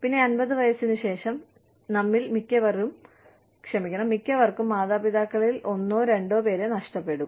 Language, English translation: Malayalam, And then, after 50, most of us, you know, have lost one or both parents